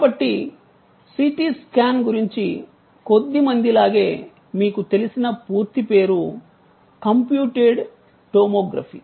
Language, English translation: Telugu, So, like very of few you know about CT scan the full name being computed tomography